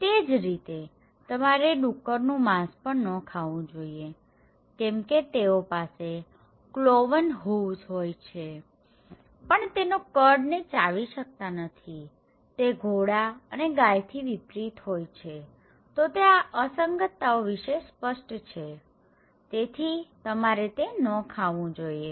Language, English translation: Gujarati, Similarly, you should not eat pork because they have cloven hooves but they don’t chew the cud, so unlike horse and cow so, these are clean who are anomalies, so you should not eat them